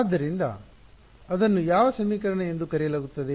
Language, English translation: Kannada, So, that is also called as which equation